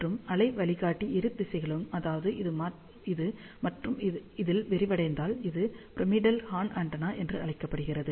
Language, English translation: Tamil, And if the waveguide is flared in both the directions in this as well as this, it is known as pyramidal horn antenna